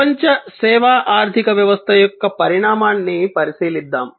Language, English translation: Telugu, And we will look at the evolve evolution of the global service economy